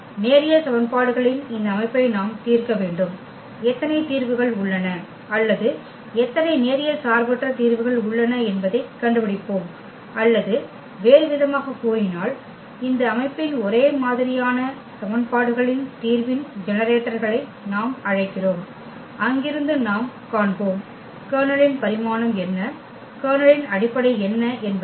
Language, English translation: Tamil, We need to solve this system of linear equations and we will find out how many solutions are there or how many linearly independent solutions are there or in other words we call the generators of the solution of this system of homogeneous equations and from there we will find out what is the what is the dimension of the Kernel, what is the what are the basis of the Kernel